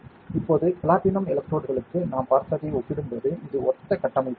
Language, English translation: Tamil, Now, it is a similar structure as compared to what we saw for the platinum electrodes